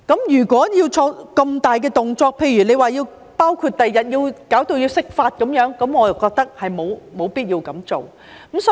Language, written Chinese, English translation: Cantonese, 如果要作出那麼大的動作，例如將來弄至要釋法，我便認為沒有必要這樣做。, If it entails a big move which may lead to for example an interpretation of the Basic Law in the future I do not think such a move is necessary